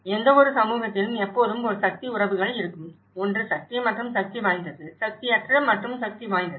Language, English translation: Tamil, In any community, there always a power relations; one is have and have nots, power and powerful; powerless and powerful